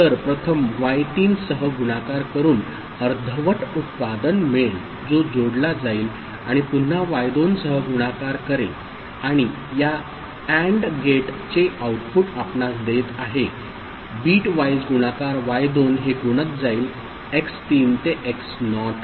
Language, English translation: Marathi, So, first we’ll you know, multiply with y3, you will get the partial product which will get added, then again we will multiply with y2 and these AND gate outputs will be giving you the bitwise multiplication y2 multiplying these x3 to x naught